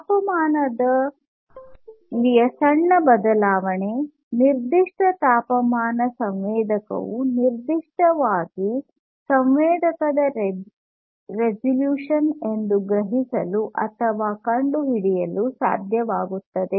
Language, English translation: Kannada, So, the smallest change in temperature for instance that a particular temperature sensor is able to sense or detect is basically the resolution of a particular sensor